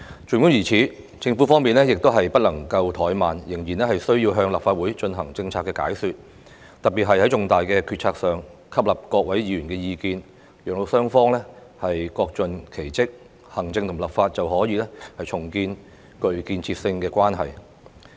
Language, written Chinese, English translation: Cantonese, 儘管如此，政府方面亦不能怠慢，仍然需要向立法會進行政策解說，特別是在重大決策上吸納各議員的意見，讓雙方各盡其職，行政與立法便可重建具建設性的關係。, Having said that the Government should never relax its efforts and it still needs to explain its policies to the Legislative Council . In particular it should incorporate Members views into the decision - making process involving important policies so that both sides can perform their own duties and a constructive relationship between the Executive and the Legislature can thus be rebuilt